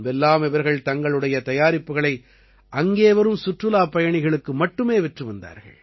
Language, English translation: Tamil, Earlier they used to sell their products only to the tourists coming there